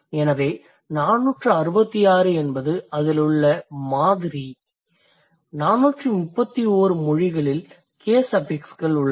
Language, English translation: Tamil, They found out of 466 languages there are 431 which have case suffixes